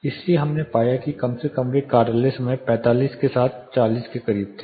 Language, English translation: Hindi, So, we found more or less they were closer 40 with office hours 45